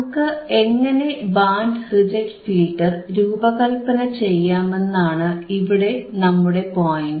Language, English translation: Malayalam, So, the point is how we can design this band reject filter